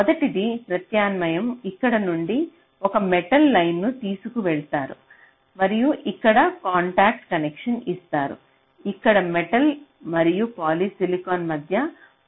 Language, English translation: Telugu, so alternative is a: from here you carry a metal line and here you make a contact connection and here between metal and polysilicon you make another contact connection